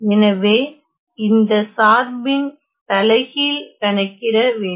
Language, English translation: Tamil, So, I have to find the inverse of this function